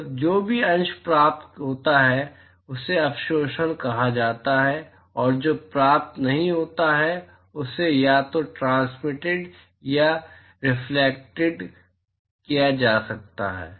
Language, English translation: Hindi, So, whatever fraction is received is what is called as absorptivity and whatever is not received can either be transmitted or reflected